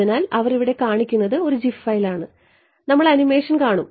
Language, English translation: Malayalam, So, what they are showing over here is a gif file we will see the animation